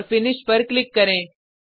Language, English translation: Hindi, And then click on Finish